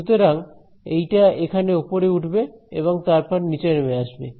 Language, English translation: Bengali, So, this guy is going to go up and then come down over here